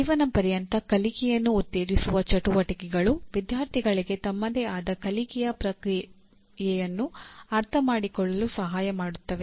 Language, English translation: Kannada, Activities that promote life long learning include helping students to understand their own learning process